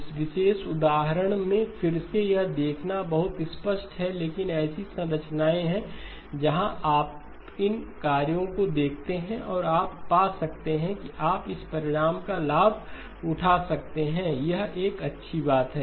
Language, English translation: Hindi, Again in this particular example it is probably very obvious to see, but there are structures where when you see these multiple operations and you can find that you can take advantage of this result, it is a good thing